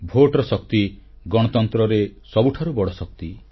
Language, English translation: Odia, The power of the vote is the greatest strength of a democracy